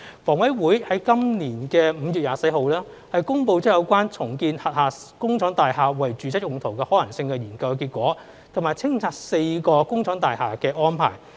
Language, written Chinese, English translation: Cantonese, 房委會在今年5月24日，公布有關重建轄下工廠大廈為住宅用途的可行性研究結果，以及清拆4幢工廠大廈的安排。, On 24 May this year HA published the study results on the feasibility to redevelop its factory estates for residential use and the clearance and demolition arrangement of four factory estates